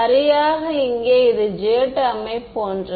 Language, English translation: Tamil, This is exactly like the j term over here